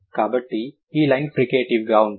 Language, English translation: Telugu, So, this line is going to be the fricatives